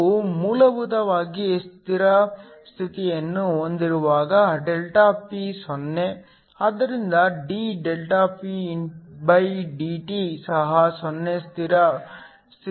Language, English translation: Kannada, When we basically have steady state, ΔP is 0, so dPdt is 0 at steady state